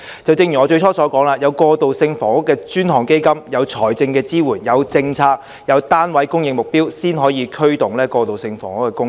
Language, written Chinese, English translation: Cantonese, 正如我最初所說，我們要有"過渡性房屋基金"、有財政支援、有政策、有單位供應目標，才可以驅動過渡性房屋的供應。, As I said at the outset we can drive the supply of transitional housing only with a transitional housing fund financial support a policy and also a supply target for such units